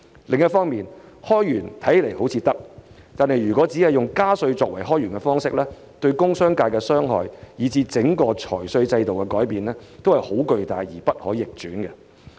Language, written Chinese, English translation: Cantonese, 另一方面，開源看似可行，但如果只以加稅作為開源方式，對工商業界的傷害，以至整個財稅制度的改變，都是巨大而不可逆轉的。, On the other hand while generating new sources of revenue appears to be a feasible option if revenue is increased only by means of raising taxes it will bring harm to the industrial and commercial sectors and tremendously and irreversibly change the entire fiscal and tax regime